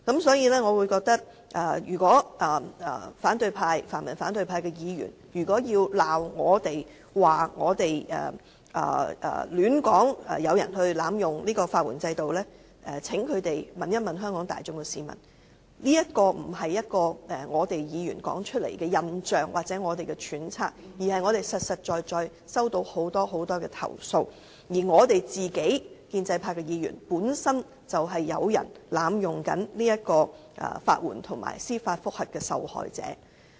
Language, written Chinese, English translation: Cantonese, 所以，如果泛民和反對派議員要責罵我們說有人濫用法援制度，請他們問問香港市民，這不是議員說出來的印象或揣測，而是我們實在收到的投訴，而我們建制派議員本身就是有人濫用法援及司法覆核的受害者。, Thus if the pan - democrats and Members of the opposition camp reprimand us for saying that some people are abusing the legal aid system will they please ask members of the public in Hong Kong . These are not impressions or speculations of some Members; rather these are complaints we have actually received . We Members of the pro - establishment camp are precisely the victims of those who abuse the systems of legal aid and judicial review